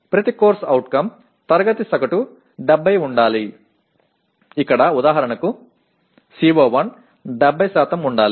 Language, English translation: Telugu, Each CO the class average should be 70, here for example CO1 should be 70%